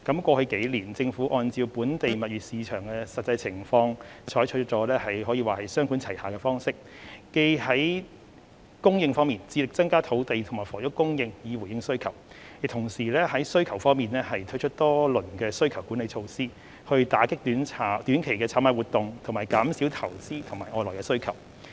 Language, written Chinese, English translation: Cantonese, 過去數年，政府按照本地物業市場的實際情況，採取雙管齊下的方式，既在供應方面致力增加土地及房屋供應以回應需求，亦同時在需求方面推出多輪需求管理措施，以打擊短期炒賣活動及減少投資和外來需求。, Over the past few years in light of the actual situation of the local property market the Government has adopted a two - pronged approach by striving to increase both land and housing supply to meet demand and introducing several rounds of demand - side management measures to combat short - term speculative activities and reduce investment and external demands